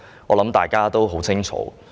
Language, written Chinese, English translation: Cantonese, 我相信大家也很清楚。, I believe all of us are very clear about that